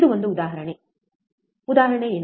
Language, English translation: Kannada, This is an example, what is the example